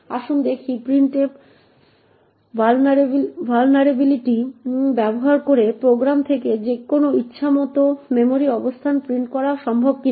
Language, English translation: Bengali, let us see if it is possible to use of printf vulnerability to print any arbitrary memory location from the program